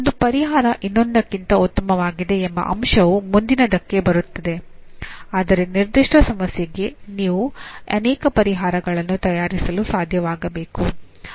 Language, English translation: Kannada, The fact that one is better than the other comes next but you should be able to produce multiple solutions for a given problem